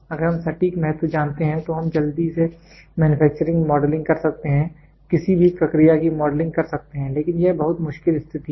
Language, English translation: Hindi, If we know the exact weightage then we can quickly go do manufacturing modelling, process modelling of any process, but this is very a trickier situation